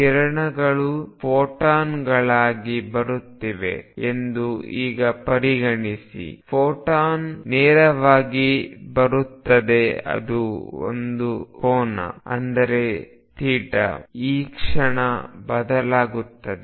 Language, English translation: Kannada, Now consider that rays are coming as photons, a photon coming straight go that an angle theta; that means, this moment changes